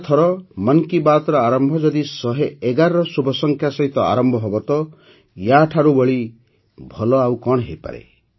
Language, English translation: Odia, Next time 'Mann Ki Baat' starting with the auspicious number 111… what could be better than that